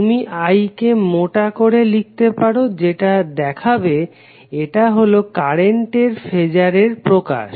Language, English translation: Bengali, So you can simply write capital I in bold that shows that this is the phasor representation of current